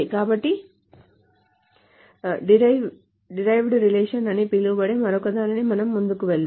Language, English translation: Telugu, All right, so let us move ahead to this something else called the derived relations